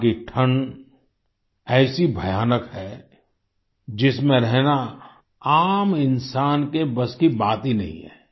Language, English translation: Hindi, The cold there is so terrible that it is beyond capacity of a common person to live there